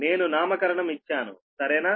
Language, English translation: Telugu, I have given the nomenclature, right